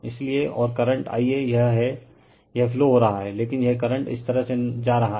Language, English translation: Hindi, So and current this is I a flowing this, but this current is going this way